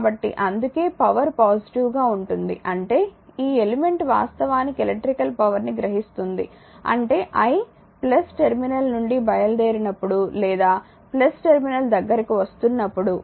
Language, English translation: Telugu, So, that is why the power is positive; that means, this element actually is absorbing the electrical power so; that means, when i is leaving the plus terminal or entering into the plus terminal right